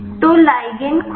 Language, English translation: Hindi, So, ligand open